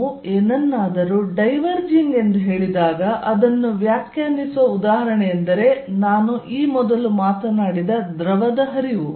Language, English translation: Kannada, When we say something as diverging an example to define it would be a fluid flow which I talked about earlier